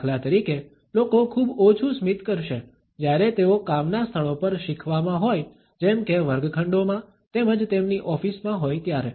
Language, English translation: Gujarati, For example; people would smile much less when they are at places of work in learning for example, in classrooms as well as at their office